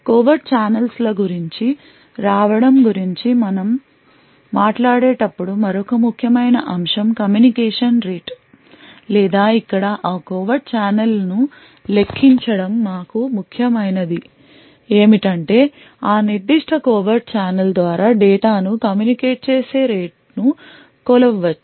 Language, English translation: Telugu, Another important aspect when we talk about coming about covert channels is the communication rate or to quantify that covert channel here what is important for us is to measure the rate at which data can be communicated through that particular covert channel